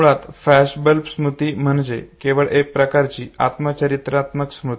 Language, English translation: Marathi, Now flashbulb memory basically is just one type of autobiographical memory